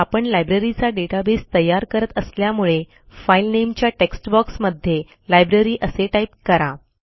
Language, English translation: Marathi, Since we are building a Library database, we will type Library in the File Name text box